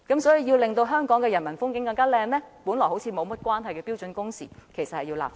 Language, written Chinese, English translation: Cantonese, 所以，如要令香港的人民風景更美，便有必要就看似毫無關連的標準工時立法。, Therefore if we are to beautify the human landscape of Hong Kong we must legislate for standard working hours which seems unrelated to the issue at hand